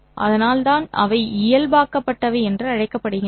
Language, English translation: Tamil, So that's why they are called as normalized